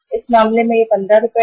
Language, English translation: Hindi, In this case it is 15 Rs